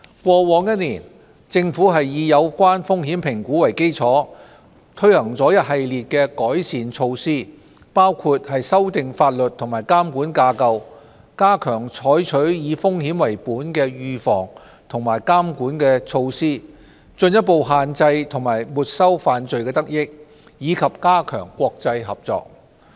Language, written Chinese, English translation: Cantonese, 過去一年，政府以有關風險評估為基礎，推行了一系列的改善措施，包括修訂法律和監管架構、加強採取以風險為本的預防和監管措施、進一步限制和沒收犯罪得益，以及加強國際合作。, Informed by the risk assessment over the past year we have taken forward various enhancement measures . These include updating the legal and regulatory framework reinforcing the adoption of a risk - based approach in preventive and supervisory measures stepping up efforts to restrain and confiscate crime proceeds and strengthening international cooperation